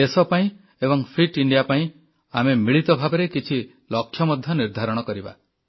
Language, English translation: Odia, I want to make you aware about fitness and for a fit India, we should unite to set some goals for the country